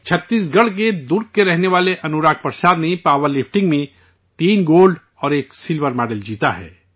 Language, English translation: Urdu, Anurag Prasad, resident of Durg Chhattisgarh, has won 3 Gold and 1 Silver medal in power lifting